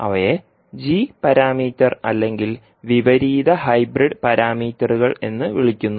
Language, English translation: Malayalam, They are called as a g parameter or inverse hybrid parameters